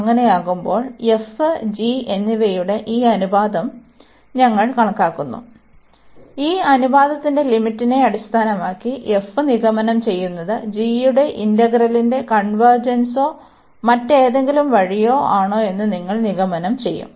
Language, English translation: Malayalam, And in that case, we compute this ratio of his f and g and based on the limit of this ratio you will conclude, whether the f converges for given the convergence of the integral of g or other way round